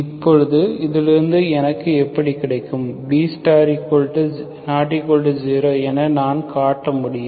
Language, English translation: Tamil, Now how do I get from this, I can show that B star is nonzero